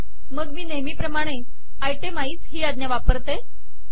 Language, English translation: Marathi, Then I use the normal itemize command